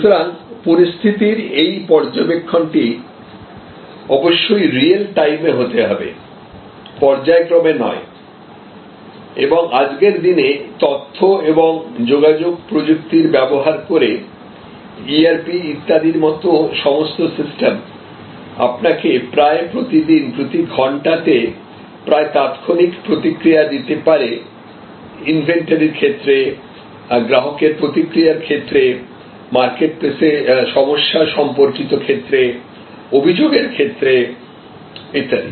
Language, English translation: Bengali, So, this monitoring of the situation must be real time, not periodic and these days with good use of information and communication technology, all your systems of like ERP etc will allow you to get a daily, almost hourly, almost instant feedback of changing situation with respect to inventory, with respect to customer feedback, with respect to problems in the marketplace, with respect to complaints and so on